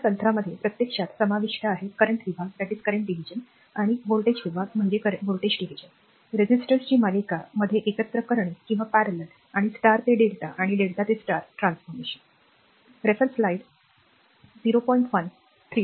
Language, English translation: Marathi, This technique actually include; the current division, voltage division, combining resistors in series or parallel and star to delta and delta to star transformation, right